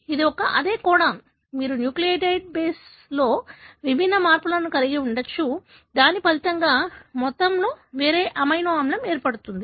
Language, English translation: Telugu, It is a, the samecodon, you could have different change in the nucleotide base, which results in altogether a different amino acid